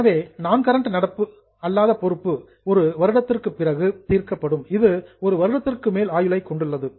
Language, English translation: Tamil, So, non current is something which will be settled after one year, which has a life of more than one year